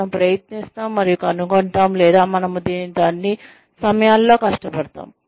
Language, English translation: Telugu, We try and find out, or, we struggle with this, all the time